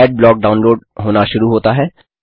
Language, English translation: Hindi, Adblock starts downloading Thats it